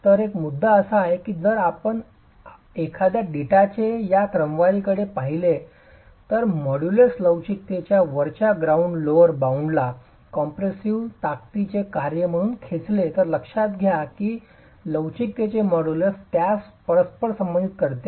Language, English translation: Marathi, So the point is the if you look at this sort of a data and pull out an upper bound, lower bound of the modulus of elasticity as a function of the compressive strength, and mind you, this is simply because the modulus of elasticity happens to be correlated to the compressor strength, right